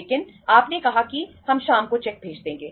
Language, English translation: Hindi, But you said that we will send the cheque in the evening